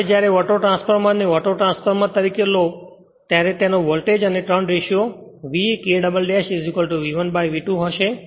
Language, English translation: Gujarati, Now, when you take Autotransformer as an autotransformer its voltage and turns ratio will be V K dash is equal to V 1 upon V 2